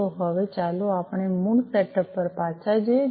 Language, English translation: Gujarati, So, now, let us go back to our original setup